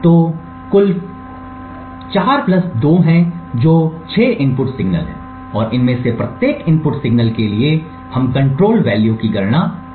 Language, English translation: Hindi, So, there are a total of 4 plus 2 that is 6 input signals and for each of these input signals we can compute the control value